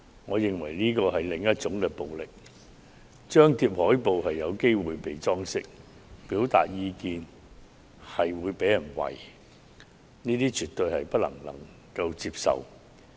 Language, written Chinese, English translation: Cantonese, 我認為這是另類暴力，張貼海報可能會被"裝修"，表達意見也會被人"圍"，這是絕對不能接受的。, In my opinion this is another kind of violence . Shops posting posters may be vandalized . People expressing opinions may be mobbed and beaten